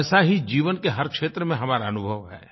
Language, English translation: Hindi, We experience this in all walks of life